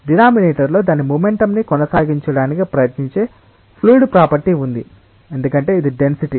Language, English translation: Telugu, In the denominator there is a fluid property which tries to maintain its momentum; because it is density